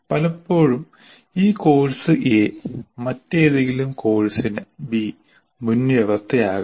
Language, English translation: Malayalam, And many times this course, course A is prerequisite to some other course B